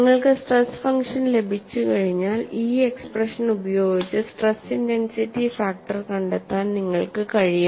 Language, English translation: Malayalam, And once you have the stress function, it is possible for you to find out the stress intensity factor by using this expression